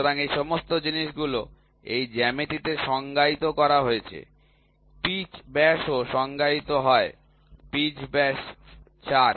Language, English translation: Bengali, So, all these things are defined in this geometry pitch diameter is also defined pitch diameter pitch diameter is 4